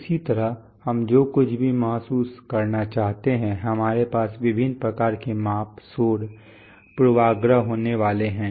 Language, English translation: Hindi, Similarly anything we want to sense we are going to have various kinds of measurement, noise, bias right